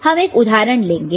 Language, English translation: Hindi, So, we take one example